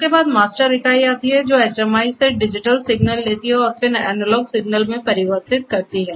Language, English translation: Hindi, Then, comes the master unit which takes the digital signals from the HMI and then, converts to the analog signal